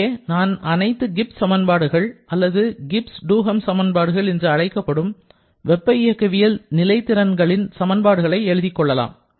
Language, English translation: Tamil, I am just writing all the corresponding 4 Gibbs equations that are so called the Gibbs Duhem equation for the 4 thermodynamic potentials that we have